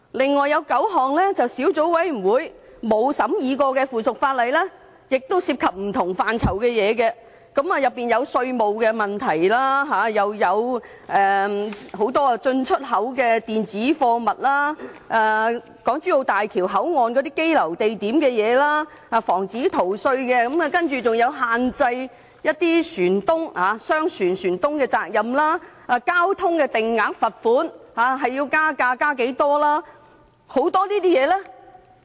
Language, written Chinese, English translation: Cantonese, 此外，有9項未經小組委員會審議的附屬法例涉及不同範疇的事宜，當中包括稅務問題、關於進出口的電子貨物資料、港珠澳大橋香港口岸的羈留地點事宜、防止逃稅，還有限制商船船東責任、交通定額罰款應加價多少的很多事項。, Besides there are nine pieces of subsidiary legislation which has not been studied by subcommittees and they involve issues belonging to many different areas including taxation issues import and export information of electronic cargo places of detention at the Hong Kong - Zhuhai - Macao Bridge Hong Kong Port prevention of fiscal evasion limitation of ship owners liability for merchant shipping and the increase in fixed penalty for road traffic offences